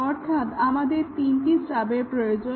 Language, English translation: Bengali, So, we need three stubs